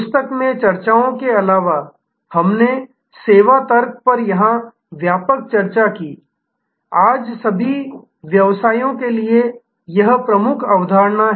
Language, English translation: Hindi, In addition to the discussions in the book, we had an extensive discussion here on service logic; that is the dominant concept for all businesses today